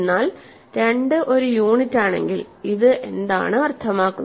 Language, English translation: Malayalam, But suppose, if 2 is a unit, what does this mean